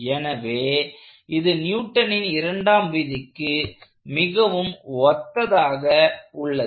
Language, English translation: Tamil, So, this looks very analogous to Newton's second law